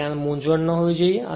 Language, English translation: Gujarati, So, that should not be any confusion right